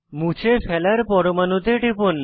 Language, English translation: Bengali, Click on the atoms you want to delete